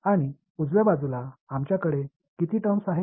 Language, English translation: Marathi, And on the right hand side we had how many terms